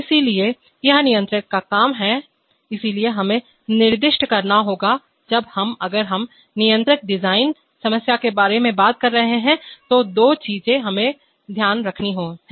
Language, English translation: Hindi, So there are, so that is the job of the controller, so we have to specify, when we, when we, if we are talking about the controller design problem then we, there are two things that we have to do